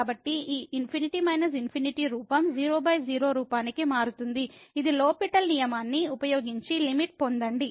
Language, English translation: Telugu, So, this infinity minus infinity form changes to by form which using L’Hospital rule we can get the limit